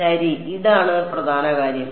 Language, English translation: Malayalam, Well this is the main thing